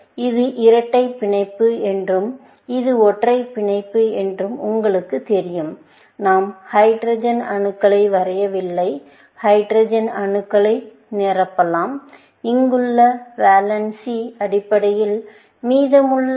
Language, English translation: Tamil, You know that this is double bond and this is single bond, and so on; we have not drawn the hydrogen atoms and you can fill in the hydrogen atoms, based on the valance here, remaining